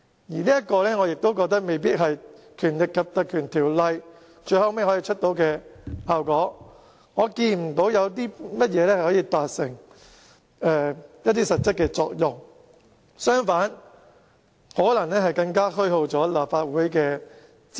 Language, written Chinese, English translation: Cantonese, 而我認為，這未必是《立法會條例》最後可以產生的效果，我看不到專責委員會可以達致甚麼實質作用；相反，更可能會虛耗立法會的資源。, I consider that the invocation of the Legislative Council Ordinance may not necessarily be able to deliver the result . I cannot see how a select committee may achieve any actual effect . On the contrary it will waste the resources of the Legislative Council